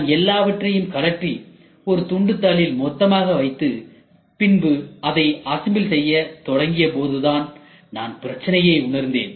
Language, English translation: Tamil, I just removed all put it in a piece of paper and kept aside and then started assembling it then I realise the problem